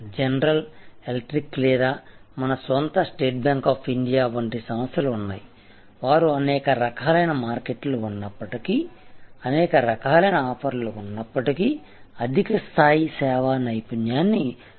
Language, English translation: Telugu, There are companies like general electric or even our own State Bank of India, who have been able to maintain high level of service excellence in spite of their wide variety of offerings, in spite of the wide variety of markets they serve